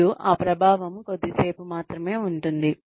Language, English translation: Telugu, And it stays, the effect stays only for a little while